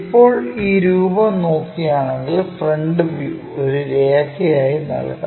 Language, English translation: Malayalam, Now, if we are looking for this figure that front view might be giving a line